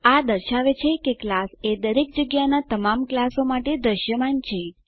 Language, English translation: Gujarati, This shows that the class is visible to all the classes everywhere